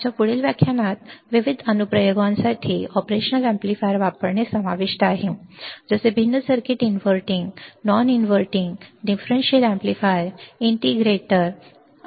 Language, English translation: Marathi, Our next lecture would consist of using the operational amplifier for different applications; like, different circuits inverting, non inverting, differential amplifier, integrator, adder, comparator